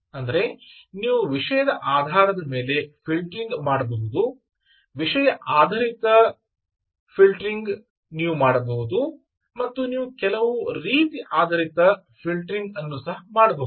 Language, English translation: Kannada, in another words, you can do filtering based on subjects, you can do based on subject based filtering, you can do content based filtering and you can also do some type based filtering